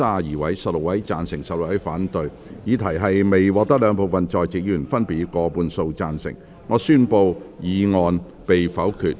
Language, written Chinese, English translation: Cantonese, 由於議題未獲得兩部分在席議員分別以過半數贊成，他於是宣布修正案被否決。, Since the question was not agreed by a majority of each of the two groups of Members present he therefore declared that the amendment was negatived